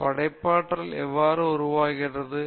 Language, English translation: Tamil, Now, how does creativity occur